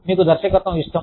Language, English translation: Telugu, You like direction